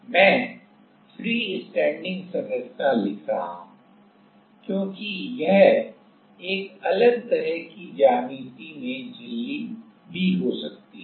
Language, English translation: Hindi, I am writing the freestanding structure because it can be membrane also in a different kind of geometry